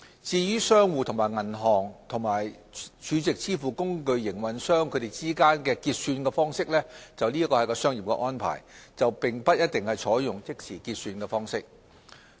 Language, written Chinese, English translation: Cantonese, 至於商戶和銀行或儲值支付工具營運商之間的結算方式，則為商業安排，並不一定採用即時結算方式。, As for the settlements between merchants and banks or SVF operators those are commercial arrangements and do not necessarily take place in real - time